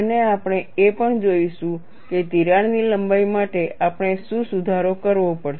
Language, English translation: Gujarati, And we will also look at what is a correction that we have to do for crack lengths